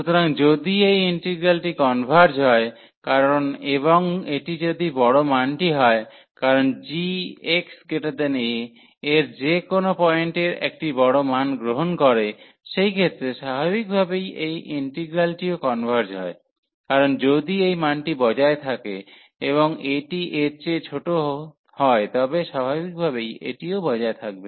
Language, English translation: Bengali, So, if this integral converges if this integral converges, because and this is the larger value, because g is taking a larger value at any point x greater than a so, in that case naturally that this integral also converges, because if this value exists and this is a smaller than that so naturally this also exist